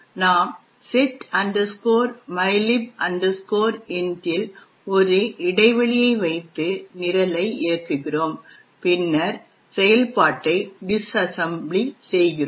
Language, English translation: Tamil, We put a breakpoint at setmylib int and run the program and then we disassemble the function